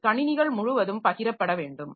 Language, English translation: Tamil, So, and that has to be shared across the systems